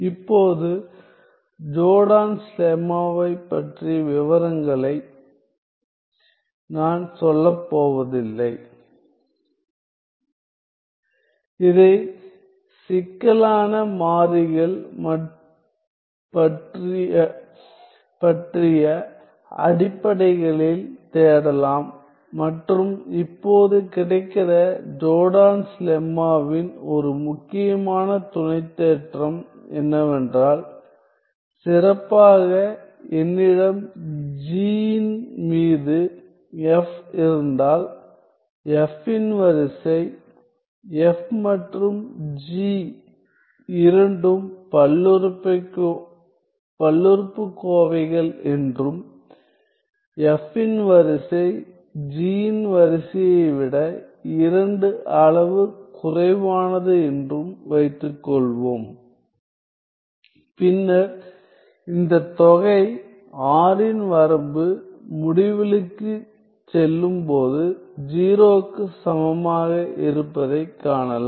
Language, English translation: Tamil, Now, I am not going to go in details of Jordans lemma people can search up the basics of complex variables and Jordans lemma is quite available now one important corollary out of this Jordons lemma is that specially if I have that F over G is such that the order of F suppose F and G both are polynomials and the order of F the order of F is two orders of magnitude less than the order of G then this integral can be shown to be equal to 0 in the limit R tending to infinity right